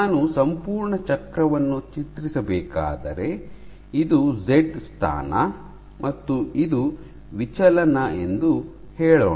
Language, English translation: Kannada, So, let us say this is z position and this is deflection